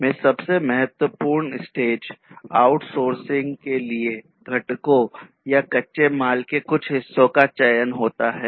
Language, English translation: Hindi, So, the most important stage in SCM is the selection for outsourcing components or parts of raw material